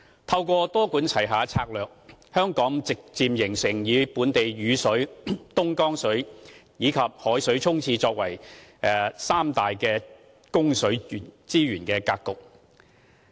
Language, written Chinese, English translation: Cantonese, 透過多管齊下的策略，香港逐漸形成本地雨水、東江水和以海水沖廁的三大供水資源格局。, Through a multi - pronged approach Hong Kong has gradually formed a water supply pattern comprising three major sources namely local stormwater Dongjiang water and seawater for toilet flushing